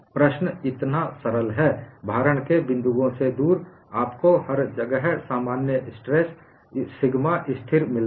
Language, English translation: Hindi, The problem is so simple, away from the points of loading, you get the normal stresses, sigma is constant everywhere